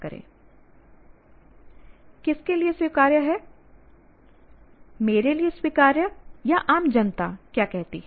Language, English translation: Hindi, Acceptable to me or what the general public says